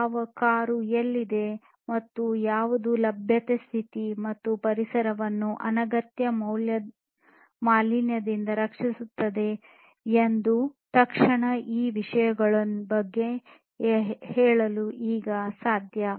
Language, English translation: Kannada, Instantly you know which car is where, and what is the availability status, and protecting the environment from unnecessary pollution all of these things are now possible